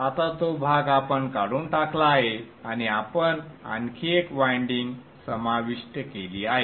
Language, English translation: Marathi, Now that portion we have removed and we have included one more winding